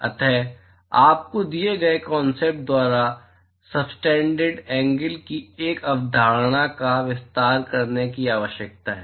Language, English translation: Hindi, So you need to extend this concept of the angle subtended by a given surface